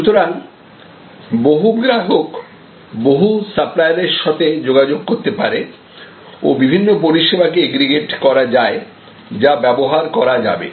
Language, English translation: Bengali, So, lot of customers can connect to lot of suppliers and there can be number of aggregated services, which will be utilized